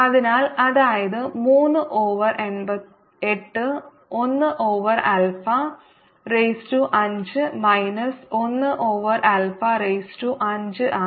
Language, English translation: Malayalam, one over alpha raise to five minus one over alpha raise to five